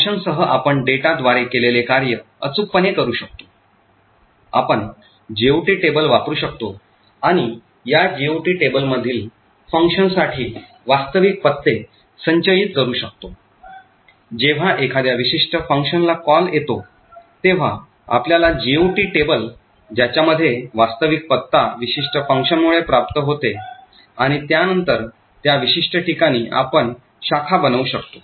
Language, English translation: Marathi, With functions we can do precisely what we have done with data, we could use a GOT table and store the actual addresses for the functions in this GOT table, wherever there is a call to a particular function we look up the GOT table obtained the actual address for that particular function and then make a branch to that particular location